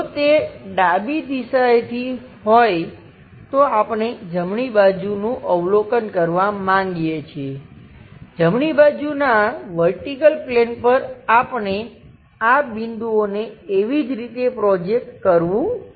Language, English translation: Gujarati, If it is something like from left direction we would like to observe the right side, on to vertical plane of right side we have to project these points and so on